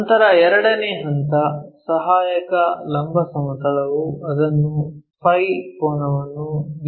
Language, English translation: Kannada, Then, second point auxiliary vertical plane is inclined it phi angle to VP